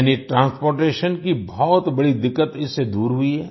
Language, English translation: Hindi, That is, the major problem of transportation has been overcome by this